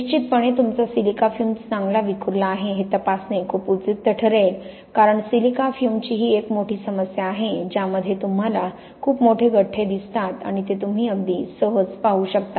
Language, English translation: Marathi, Certainly, it would be very useful to check that your silica fume is well dispersed because that is a huge problem with silica fume you tend to great big clumps and those you can see very easily